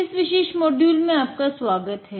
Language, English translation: Hindi, Hi, welcome to this particular module